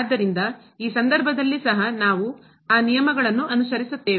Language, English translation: Kannada, So, in this case also we will follow those steps